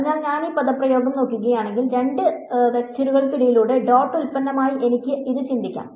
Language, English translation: Malayalam, So, if I look at this expression over here, I can think of it as the dot product between two vectors right